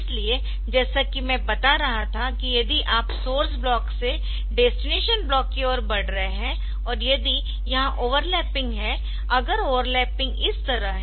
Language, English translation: Hindi, So, as I was telling that if you are moving from source block to the destination block and if you have got if there is overlapping